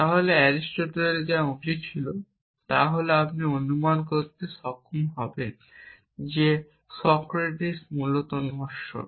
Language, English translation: Bengali, Then what Aristotle should was that you should be able to infer that Socrates is mortal essentially